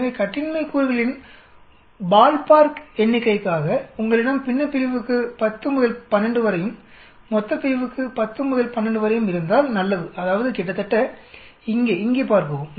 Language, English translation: Tamil, So as a ball park figure for the degrees of freedom it is good if you have about 10 to 12 for the numerator, as well as 10 to 12 for the denominator that means see here almost here